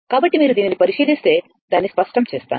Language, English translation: Telugu, So, if you look into this, let me clear it